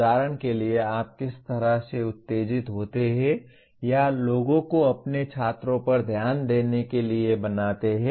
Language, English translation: Hindi, For example how do you arouse or make people make your students pay attention to you